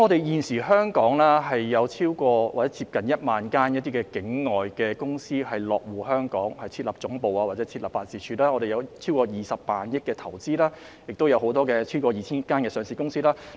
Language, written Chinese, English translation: Cantonese, 現時有約1萬間境外公司落戶香港設立總部或辦事處，有超過20萬億元的投資，亦有超過 2,000 間上市公司。, Nowadays some 10 000 non - Hong Kong companies have established headquarters or offices in Hong Kong the total value of investments amounts to over 20 trillion and we have over 2 000 listed companies